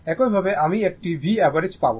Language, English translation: Bengali, Similarly, you will get V average